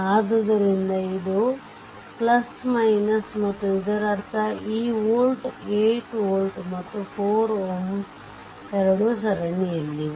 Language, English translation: Kannada, So, this is your plus minus and that means this volt 8 volt and this 4 ohm, these two are in series